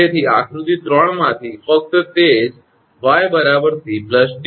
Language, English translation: Gujarati, So, from that figure 3 only that y is equal to c plus d